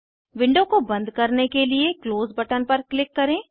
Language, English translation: Hindi, Let us click on Close button to close the window